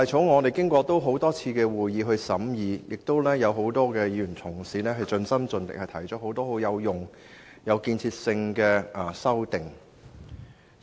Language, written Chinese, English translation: Cantonese, 我們曾舉行多次會議審議《條例草案》，並有多位議員同事盡心盡力地提出多項有用和有建設性的修正案。, We have conducted a number of meetings to examine the Stamp Duty Amendment Bill 2017 the Bill and many colleagues have done their utmost to put forward a couple of meaningful and constructive amendments